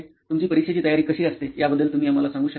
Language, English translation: Marathi, Can you just take us through how your preparation would be for an exam